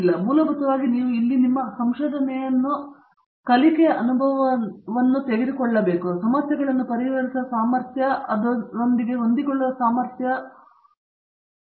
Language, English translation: Kannada, So, essentially you have to take your research here as a learning experience, the ability to solve problems and with this they are able to adapt